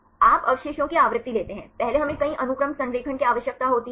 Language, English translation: Hindi, You take the frequency of residues, first we need the multiple sequence alignment